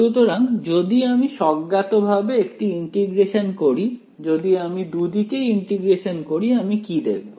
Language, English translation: Bengali, So, if I integrate this intuitively if I integrate this on both sides what will I see